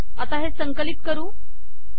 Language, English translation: Marathi, So lets compile this